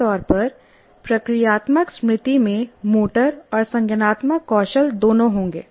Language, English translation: Hindi, So, generally procedural memory will have both the motor, involves motor and cognitive skills